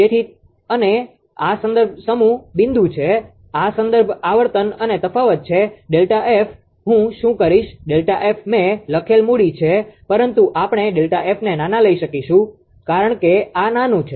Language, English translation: Gujarati, So, and this is the reference set point this the reference frequency and difference is delta F what I will do is delta F capital I have written, but we can take delta F small because this is small this is small